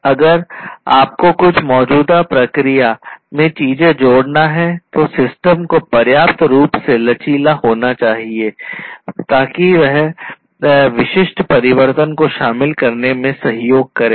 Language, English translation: Hindi, If you need to introduce certain things in an existing process, the system should be flexible enough in order to incorporate in order to help in incorporate incorporating that particular change